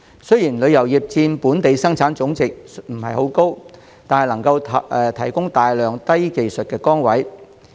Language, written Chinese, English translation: Cantonese, 雖然旅遊業佔本地生產總值的比重不高，但能提供大量低技術職位。, Although the tourism industry accounts for a small proportion of GDP it provides a large number of low - skilled jobs